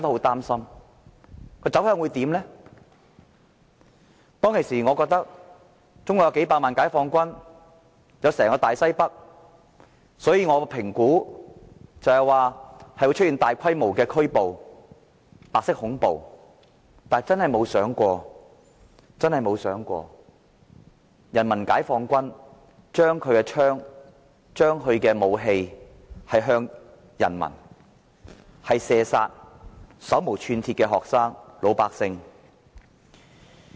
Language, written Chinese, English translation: Cantonese, 當時，我覺得中國有數百萬名解放軍，有整個大西北，我預期會出現大規模拘捕和白色恐怖，但真的沒有想過人民解放軍將槍和武器對準人民，射殺手無寸鐵的學生和老百姓。, At that time we thought that since there were millions of PLA soldiers deployed in the vast north - western region of China we anticipated that would be large - scale arrests and white terror would reign . It had never crossed our mind that PLA would point their weapons and guns at unarmed students and ordinary people